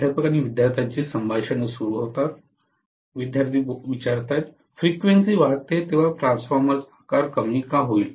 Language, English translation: Marathi, [Professor student conversation starts] When frequency increases, why would the transformer size decrease